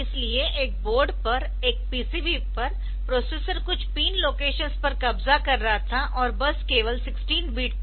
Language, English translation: Hindi, So, all the on a on a board so on a on a PCB, so the processor was occupying some pin locations and the bus was only 16 bit